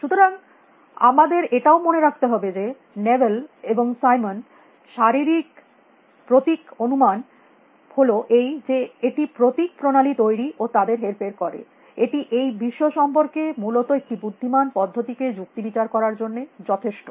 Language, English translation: Bengali, So, we should also keep in mind Newell and Simon physical symbol system hypothesis is that we can create symbol systems and manipulate that symbol; that is enough for us to reason about the world in an intelligent fashion essentially